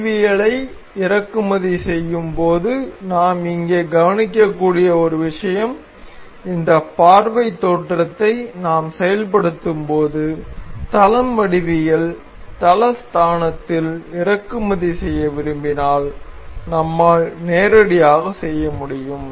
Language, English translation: Tamil, One thing we can note here while importing the geometry while we have activated this view origins we can directly if we wish to import in the plane geometry plane origin we can directly import the part to have the plane origin